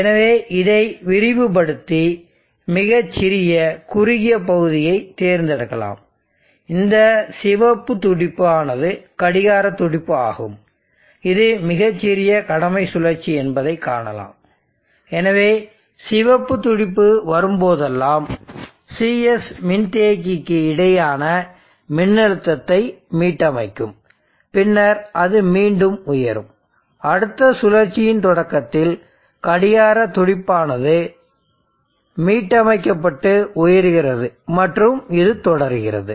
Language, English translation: Tamil, So let me expand that let me select the various small narrow region and you see that this red pulse is the clock pulse very small duty cycle so whenever red pulse comes there is a reset of the voltage across the capacitance Cs and then it rises again and the starting of the next year cycle clock pulse comes reset and rises and so on